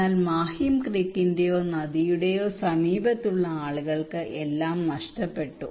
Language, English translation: Malayalam, But people who are close to the Mahim Creek or river they lost everything